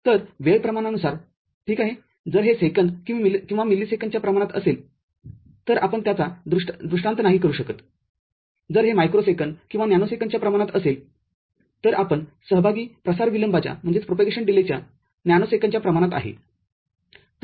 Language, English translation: Marathi, So, depending on the time scale right; if it is in the order of second or millisecond you might not be able to visualize it, if it is in the order of microsecond or nanosecond, then you can see a nanosecond order of propagation delay involved